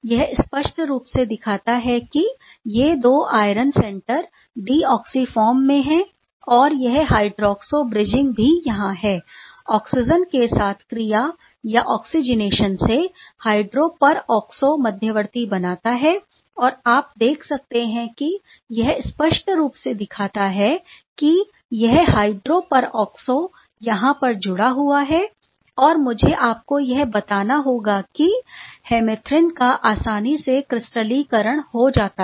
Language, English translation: Hindi, This is clearly shows that these irons 2 iron center in the deoxy form, the hydroxo bridging is there during oxygen reaction or oxygenation leads to these hydroperoxo intermediate and these as you can see the plot clearly shows that this hydroperoxo is bound over there and I must tell you that these hemerythrin or hemerythrin is readily crystallizable